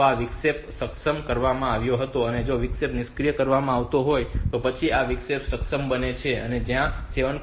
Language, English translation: Gujarati, 5 so this interrupt was enabled, so this interrupt was disabled and then after this so this interrupt becomes enabled, where as the status of this 7